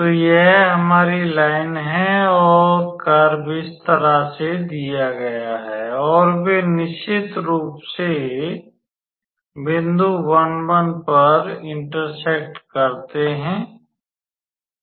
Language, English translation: Hindi, So, this is our line and the curve is given in this fashion and they intersect of course at the point 1 1